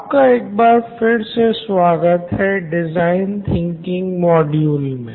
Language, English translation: Hindi, Hello and welcome back to design thinking